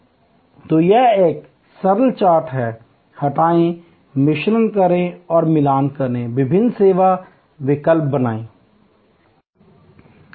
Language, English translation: Hindi, So, this is a simple chart, add delete, mix and match, create different service alternatives